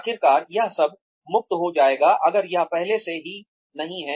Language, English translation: Hindi, Eventually, this will all become free, if it is not already